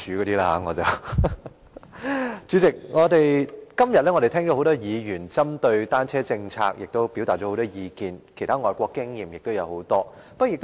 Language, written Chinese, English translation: Cantonese, 代理主席，今天聽到多位議員針對單車政策表達了很多意見，還有很多其他外國經驗的分享。, Deputy President today many Members have expressed their views on a bicycle policy and shared the experience of many overseas countries